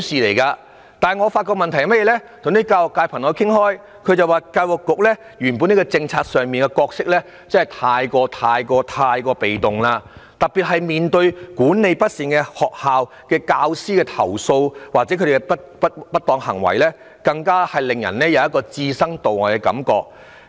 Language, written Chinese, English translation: Cantonese, 不過，我與教育界的朋友討論時發現，教育局在校本政策上的角色過於被動，特別是面對管理不善的學校、教師投訴或不當行為時，更令人有教育局置身度外的感覺。, However after discussing with my friends in the education sector I realize that the Education Bureau has been too passive in its role in school - based management . In particular when faced with mismanaged schools complaints of teachers or improper acts the Education Bureau has given people the impression that it just sits on its hands